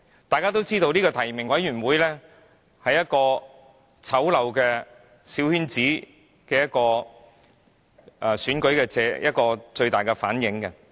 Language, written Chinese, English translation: Cantonese, 大家皆知道，提名委員會反映出小圈子選舉最醜陋的一面。, As you all know the nominating committee reflects the ugliest side of a coterie election